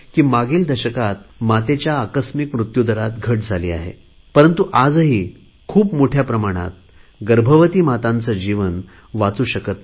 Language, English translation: Marathi, It is true that in the last decade there has been a decline in maternal mortality rates but even now, we are not able to save the lives of a large number of pregnant women